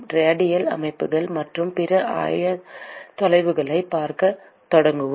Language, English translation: Tamil, We will start looking at radial systems and other coordinates